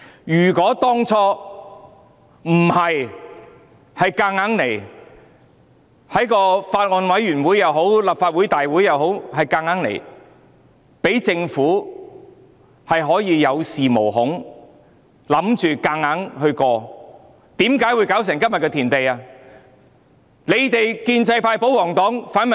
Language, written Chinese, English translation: Cantonese, 如果當初不是他們要強行在法案委員會或立法會大會通過有關的法案，讓政府有恃無恐，以為可以強行通過，又怎會弄至今時今日的田地？, If they had not sought to force the relevant bill through the Bills Committee or the Legislative Council in the first place and made the Government feel so secured that the bill could be forcibly passed the current situation would not have come to this pass